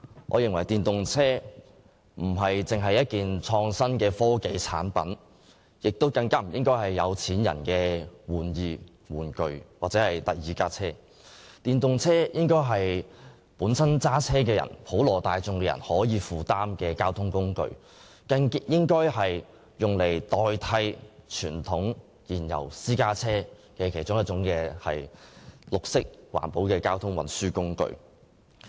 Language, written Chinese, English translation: Cantonese, 我認為電動車並非純粹是創新科技產品，更不應該是有錢人的玩意、玩具或第二輛車，而應該是駕車人士及普羅大眾可以負擔的交通工具，用作代替傳統燃油私家車的綠色環保交通運輸工具之一。, In my view EVs are not purely a product of innovation and technology let alone a gadget a toy or a second vehicle for the rich . Rather they should be a mode of transport which is affordable to car owners and the general public and also a mode of green transport for replacing conventional fuel - engined private cars